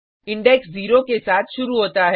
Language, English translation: Hindi, Index starts with zero